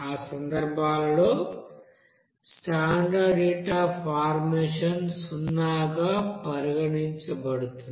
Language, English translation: Telugu, So for those cases that standard heat of formation will be considered as a zero there